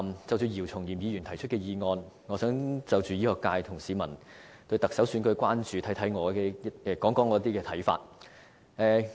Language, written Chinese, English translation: Cantonese, 就姚松炎議員提出的議案，我想就醫學界和市民對行政長官選舉的關注，談談我的一些看法。, On the motion moved by Dr YIU Chung - yim I would like to talk about my views on the concerns of the medical sector and the public about the Chief Executive election